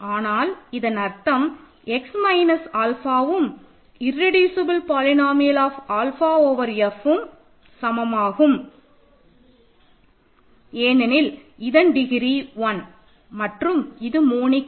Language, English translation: Tamil, But this means x minus alpha is equal to the irreducible polynomial of alpha over F because it is degree of 1 it is monic